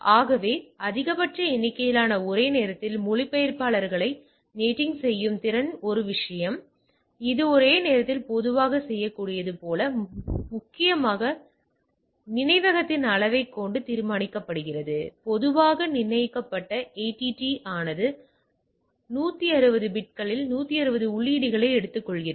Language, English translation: Tamil, So, capability of NATing maximum number of concurrent translator is a one thing, like it can concurrently do typically mainly determined by the size of the memory to store typically determine ATT takes over 160 entry of a 160 bits